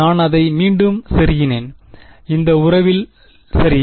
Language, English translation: Tamil, I plug it back into this relation right